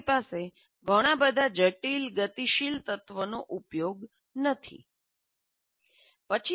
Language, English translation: Gujarati, So you don't have to have used too much complex dynamic elements in that